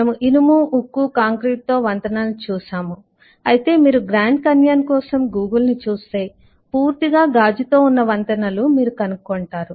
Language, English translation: Telugu, we have seen bridges with iron, steel, concrete, but then, eh, if you look at the google for grand canyon, you will find bridges which are completely in glass